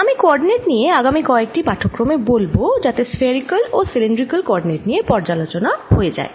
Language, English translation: Bengali, i'll talk about the coordinates in ah next couple of lectures, because ah just to review spherical and cylindrical coordinates